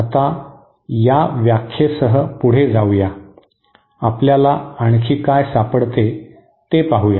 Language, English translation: Marathi, Now proceeding with this definition, now let us see what else we can um we can find